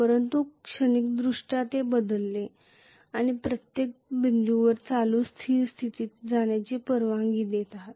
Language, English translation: Marathi, But transient wise it will change, you are allowing at every point the current to reach steady state as simple as that